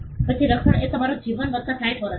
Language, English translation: Gujarati, Then the protection is your life plus 60 years